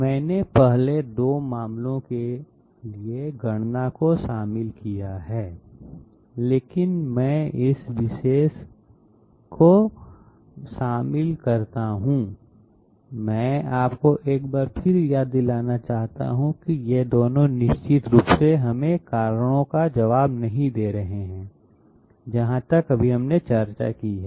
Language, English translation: Hindi, I have included the calculation for the first 2 cases, but I also include this particular I would like to remind you once again that these two can definitely not give us the answer for the reasons that we discussed just now